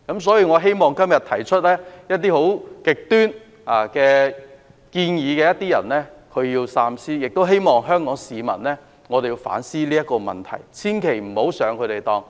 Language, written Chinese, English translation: Cantonese, 所以，我希望今天提出極端建議的議員要三思，也希望香港市民反思這個問題，千萬不要上他們的當。, Hence I hope that the Members who put forth some extreme proposals today will think twice and I also hope that Hong Kong people can think about this problem again and not to fall into their trap